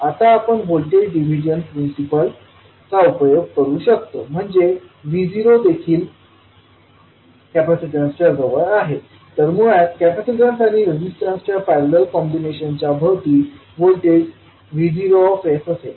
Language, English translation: Marathi, Now we can utilize the voltage division principle, says this V naught is also across the capacitance, so basically the parallel combination of capacitance and resistance will have the voltage V naught s across them